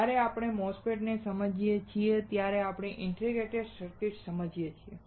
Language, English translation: Gujarati, When we understand OP Amps, we understand integrated circuit